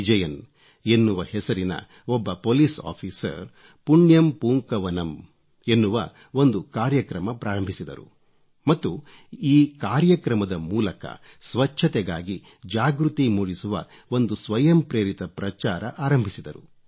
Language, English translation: Kannada, Vijayan initiated a programme Punyam Poonkavanam and commenced a voluntary campaign of creating awareness on cleanliness